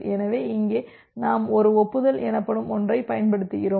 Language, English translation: Tamil, So, here we use something called a cumulative acknowledgement